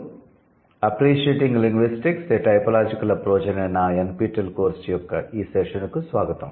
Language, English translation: Telugu, Welcome to this session of my NPTL course, appreciating linguistics or typological approach